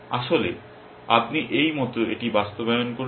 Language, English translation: Bengali, Actually, you do implement it like this